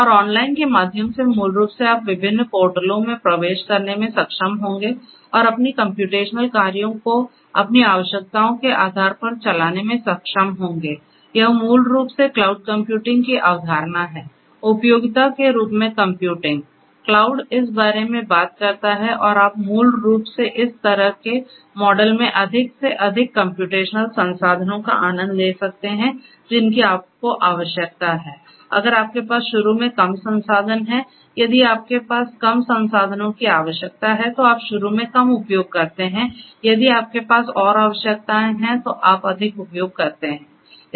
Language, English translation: Hindi, And through online basically you would be able to login to different portals and be able to run your computational jobs based on your certain requirements, this is basically the concept of cloud computing; computing as utility is what cloud talks about and you basically can enjoy in this kind of model as much of computational resources that you need, if you have less resources to start with, if you have requirements for less resources to start with you use less if you have more requirements you use more you know